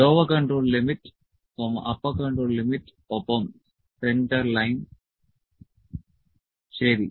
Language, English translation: Malayalam, Lower control limit, upper control limit and centerline, ok